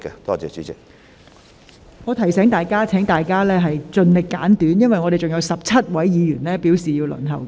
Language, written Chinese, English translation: Cantonese, 我提醒議員，請各位提問時盡量精簡，因為尚有17位議員正在輪候提問。, I would like to remind Members to try their best to put their questions concisely because there are 17 Members waiting in the queue to ask questions